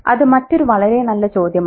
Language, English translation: Malayalam, Yeah, that's another very good question